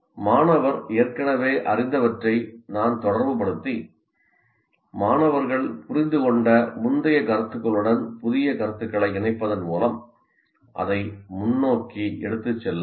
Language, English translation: Tamil, So, I can relate what the student already knew and take it forward and linking the new concepts to the previous concepts the student has understood